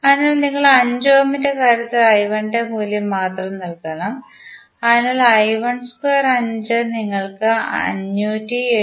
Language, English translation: Malayalam, So, we have to just simply put the value of I 1 in case of 5 ohm, so I 1 square into 5 you will get the value of 579